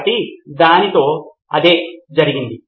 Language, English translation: Telugu, So that is what happened with that